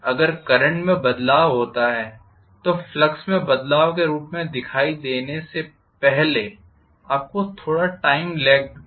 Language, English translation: Hindi, If there is a change in the current you are going to have a little bit of time lag before it shows up as a change in the flux